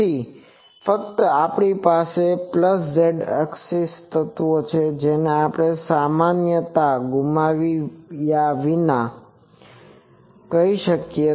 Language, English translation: Gujarati, So, only we have in the plus z axis the elements this we can say without losing generality